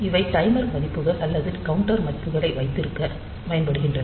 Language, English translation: Tamil, So, these are used for holding the time timer values or the counter values